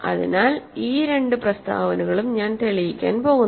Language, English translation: Malayalam, So, this I am I am going to prove these two statements